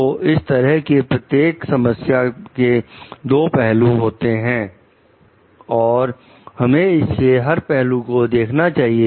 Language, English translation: Hindi, So, this type of every problem has two sides of it and we need to consider all the sides